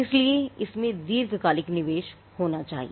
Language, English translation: Hindi, So, it has to be a long term investment